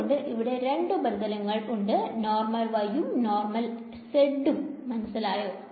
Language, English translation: Malayalam, Similarly this will they will be two surfaces with normal’s y hat two surfaces with z hat right